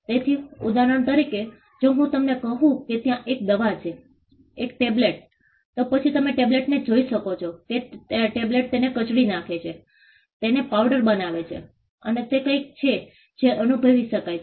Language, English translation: Gujarati, So, for instance if I tell you that there is a medicine a tablet, then you can see the tablet perceive the tablet probably crush it, powder it, and it is something that can be felt